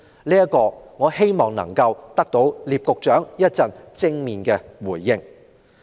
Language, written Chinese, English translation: Cantonese, 就此，我希望稍後得到聶局長的正面回應。, I urge Secretary NIP to give me a direct answer later